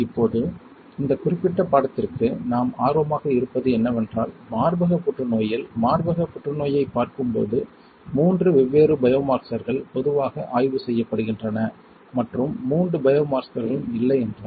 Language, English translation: Tamil, Now, for this particular course what we are interested is that amongst breast cancer, when we see breast cancer there are three different biomarkers that are generally studied and if all three biomarkers are absent